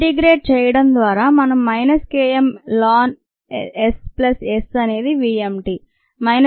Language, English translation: Telugu, if we solve this differential equation, minus k m plus s by s d s equals v m d t